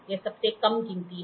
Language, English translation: Hindi, This is the least count